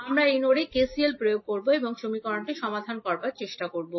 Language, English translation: Bengali, We will apply KCL at this particular node and try to solve the equation